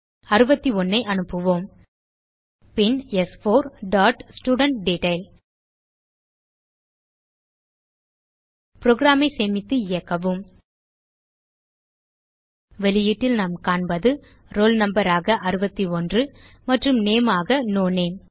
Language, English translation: Tamil, So let us pass 61 Then s4 dot studentDetail Save and Run the program So in the output we see the roll number as 61 and name as no name